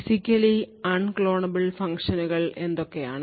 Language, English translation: Malayalam, Now what are Physically Unclonable Functions